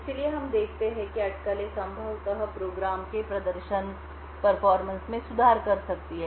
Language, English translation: Hindi, So, what we see is that the speculation could possibly improve the performance of the program